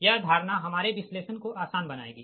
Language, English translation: Hindi, this will make this assumption, will make our analysis easy